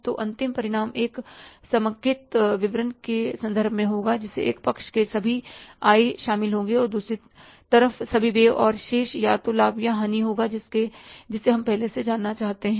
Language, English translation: Hindi, So, end result will be in terms of a consolidated statement which will include all the incomes on the one side, all the expenses on the other side and the balance will be either the profit or the loss which we want to know in advance